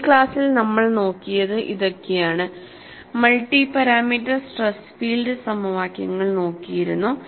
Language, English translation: Malayalam, In this class, we will look at multi parameter stress and displacement field equations